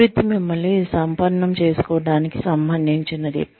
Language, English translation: Telugu, Development relates to, enriching yourself